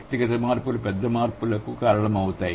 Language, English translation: Telugu, So, the individual changes result in bigger changes